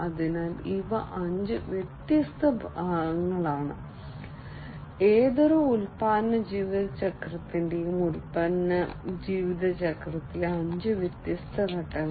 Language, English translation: Malayalam, So, these are the five different parts, five different phases in the product lifecycle of any product lifecycle